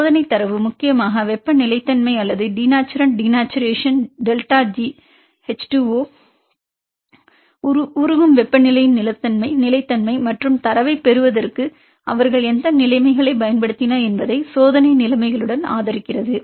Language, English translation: Tamil, Experimental data mainly the thermal stability or the stability upon the denaturant denaturation delta G H2O melting temperature and supported with the experimental conditions which conditions they used to obtain the data